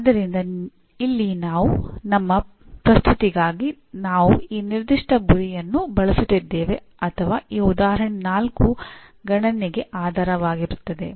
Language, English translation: Kannada, So here for our presentation we are using this particular target or rather this example 4 will be the basis for computation